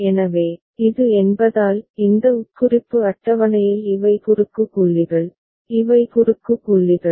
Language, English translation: Tamil, So, because this is; within this implication table these are the cross points, these are the cross points